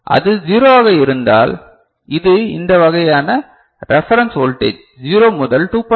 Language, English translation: Tamil, So, if it is 0, then it is it will do with this kind of reference voltage 0 to 2